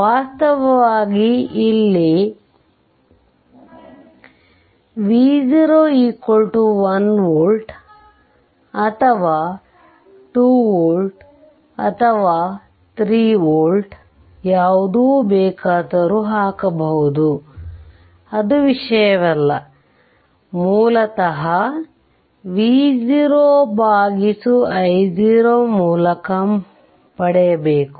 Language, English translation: Kannada, Actually here v 0 if you do not put 1 volt, ah does not matter 1 volt, 2 volt, 3 volt it does not matter, basically you have to obtain v 0 by i 0